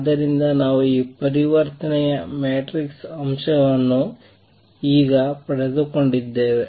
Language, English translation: Kannada, So, we have got on these transition matrix element now energy